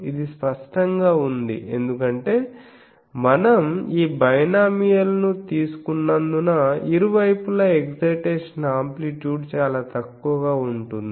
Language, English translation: Telugu, That is obvious because the moment we are taking this binomial ones so, at the sides the excitation amplitude is quite less